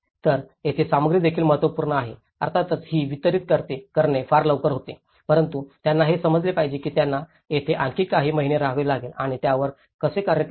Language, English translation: Marathi, So, this is where material also plays an important, of course, it was very quick to deliver but one has to understand that they have to stay here for a few more months and how to work on it